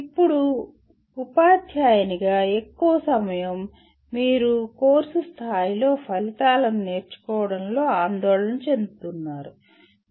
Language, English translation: Telugu, Now, most of the time as a teacher, you are concerned with learning outcomes at the course level